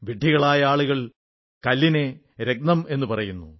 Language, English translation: Malayalam, Imprudent people call stones as gems